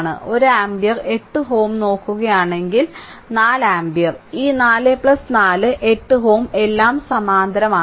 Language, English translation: Malayalam, If you look 1 ampere 8 ohm, 4 ampere this 4 plus 4 8 ohm all are in parallel